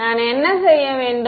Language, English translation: Tamil, Then what should I do